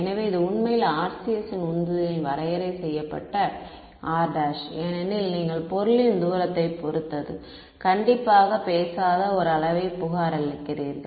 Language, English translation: Tamil, So, this is actually what motivated the definition of RCS because you are reporting a quantity that does not strictly speaking depend on the distance to the object